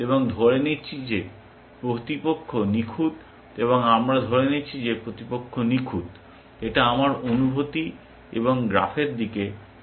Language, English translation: Bengali, And assuming that the opponent is perfect and we assuming that the opponent is perfect, my feel look at and and over graph